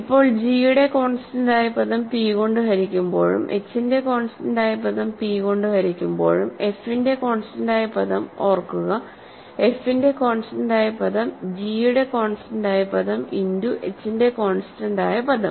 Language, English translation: Malayalam, Now, if that constant term of g is divisible by p and the constant term of h is also divisible by p, we note that constant term of f, remember, is just the constant term of f, constant term of g times constant term of h, right